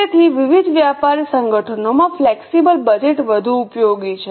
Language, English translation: Gujarati, So, flexible budgets are more useful in various commercial organizations